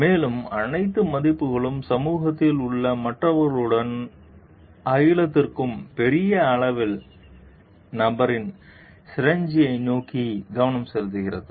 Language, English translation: Tamil, And all the values focused towards the synergy of the person with the others in the society and to the cosmos at large